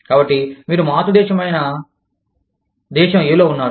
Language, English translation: Telugu, So, you are in country A, which is the parent country